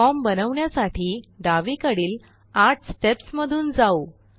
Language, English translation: Marathi, Let us go through the 8 steps on the left to create our form